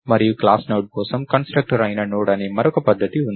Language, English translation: Telugu, And there is another method called Node which is the constructor for class Node